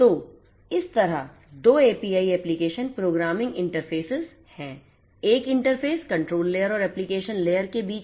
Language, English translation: Hindi, So, there are 2 APIs right application programming interface one interface between this control layer and the application layer